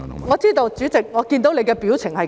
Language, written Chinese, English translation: Cantonese, 我知道，主席，我看到你的表情便知。, I know President I know it when I see your face